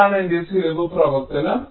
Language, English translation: Malayalam, this is my cost function